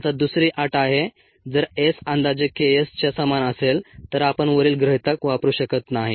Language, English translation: Marathi, now is the second condition: if s is is approximately equal to k s, then we cannot use the above approximation